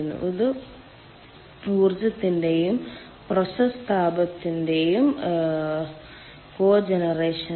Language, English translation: Malayalam, this is cogeneration of power and process heat